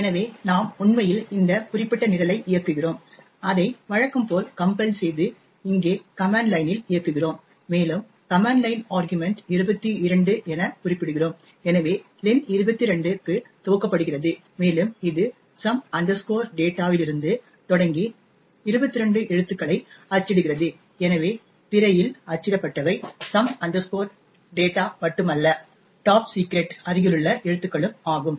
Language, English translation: Tamil, Therefore we actually run this particular program, we compile it as usual and run it in the command line over here and specify as command line argument as 22, so len gets initialised to 22 and it prints 22 characters starting from some data, so what is get printed on the screen is not just some data but also the adjacent characters top secret